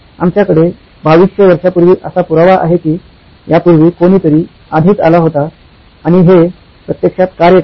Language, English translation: Marathi, We have 2200 years ago evidence that somebody else had already come up with and this actually works